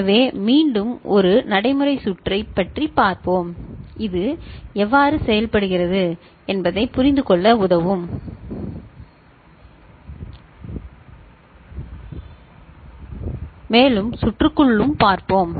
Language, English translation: Tamil, So, let us look at again a practical circuit which will help us in understanding how it works and we shall look at inside circuitry as well